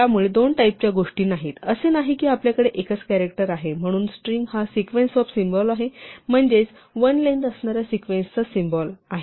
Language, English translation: Marathi, So, there are not two types of things; it is not that we have single characters and then string is a sequence of characters, a string is sequence of symbols and one symbol is just a sequence of length 1